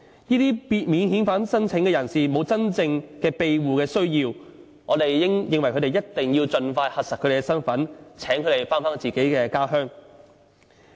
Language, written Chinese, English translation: Cantonese, 由於這些免遣返聲請人士沒有真正庇護需要，所以我們認為一定要盡快核實他們的身份，請他們返回自己的家鄉。, Since these people who make a non - refoulement claim have no genuine asylum need we consider that we must verify their identities and repatriate them to their home countries as soon as possible